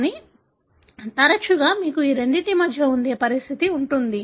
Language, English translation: Telugu, But, often you have a condition which is in between these two